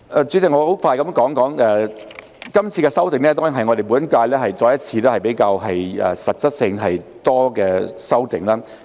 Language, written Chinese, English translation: Cantonese, 主席，我很快地說說，今次的修訂，當然是我們本屆再一次比較實質性和多的修訂。, President let me make some remarks very quickly . This amendment exercise is surely another relatively substantive and massive amendment exercise in our current term